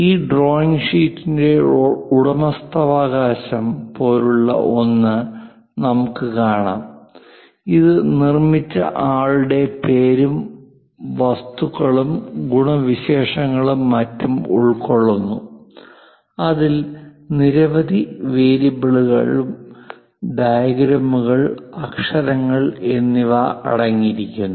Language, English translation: Malayalam, And we will see something like a ownership of that drawing sheet; contains names and whoever so made it and what are the objects, properties, and so on so things; it contains many variables, diagrams, and letters